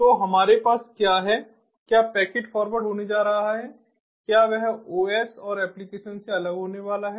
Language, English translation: Hindi, packet forwarding is going to be separated out from the os and applications